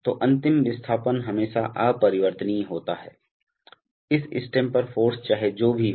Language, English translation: Hindi, So the final displacement is always invariant irrespective of whatever is the force on this stem